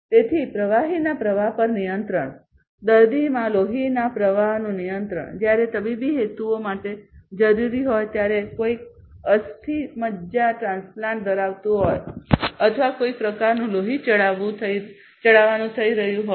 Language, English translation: Gujarati, So, control of the fluid flow, control of blood flow into a patient, when required for medical purposes may be somebody having a bone marrow transplant or some kind of you know blood transfusion is taking place